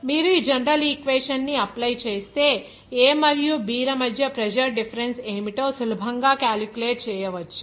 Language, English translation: Telugu, If you apply the general equation, you can easily calculate what should be the pressure difference between A and B